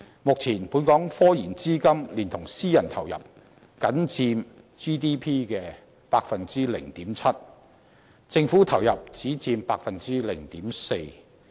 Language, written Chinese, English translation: Cantonese, 目前，本港科研資金連同私人投入，僅佔 GDP 的 0.7%， 政府投入只佔 0.4%。, Together with private investments the scientific research funding in Hong Kong now contribute only 0.7 % to the Gross Domestic Product GDP and the Governments allocation makes up a mere 0.4 %